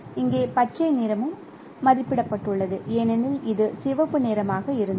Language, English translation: Tamil, So, here green is also estimated because it was a red